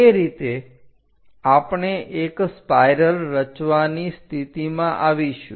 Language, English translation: Gujarati, That way, we will be in a position to construct a spiral